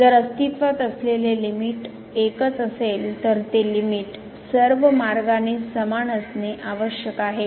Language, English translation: Marathi, Since, the limit if exist is unique the limit should be same along all the paths